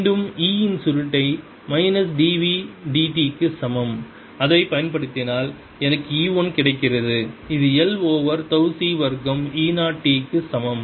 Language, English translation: Tamil, and again, using curl of e equals minus d, v, d, t, i get e, one which is equal to l over tau c square e zero t